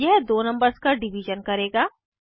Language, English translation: Hindi, This will perform multiplication of two numbers